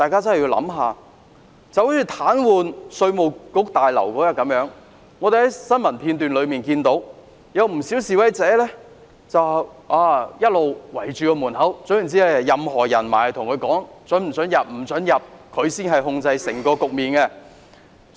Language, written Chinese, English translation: Cantonese, 正如早前示威者癱瘓稅務大樓，我們在新聞片中看到，不少示威者堵塞大樓門口，不准任何人進入大樓，他們才是控制整個局面的人。, Protesters paralysed the Revenue Tower earlier on . We learn from news footage that large numbers of protesters blocked the entrances of the Revenue Tower to stop anyone from entering the Tower . They were the ones who controlled the whole situation